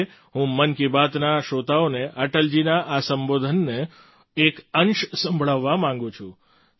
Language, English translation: Gujarati, Today I want to play an excerpt of Atal ji's address for the listeners of 'Mann Ki Baat'